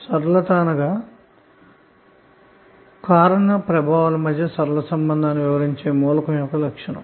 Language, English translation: Telugu, Linearity is the property of an element describing a linear relationship between cause and effect